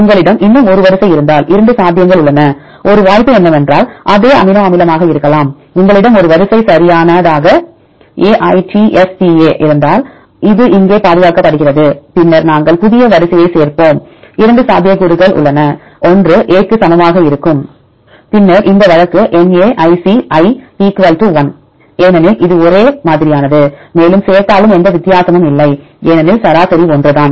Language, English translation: Tamil, If you have one more sequence there are two possibilities; one possibility is that could be the same amino acid right for example, if you have a sequence right A I T S T A right this is a conserved here right then we add new sequence, there are two possibilities one possibility is equal to be A, then this case Naic = 1 because this is identical, even if add more, there is no difference because average is the same